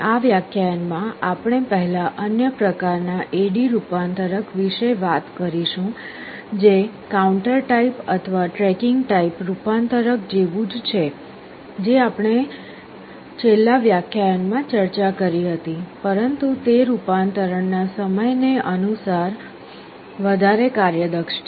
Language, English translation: Gujarati, In this lecture we shall be first talking about another kind of A/D converter, which is similar to counter type or tracking type converter that we discussed in the last lecture, but is much more efficient in terms of the conversion time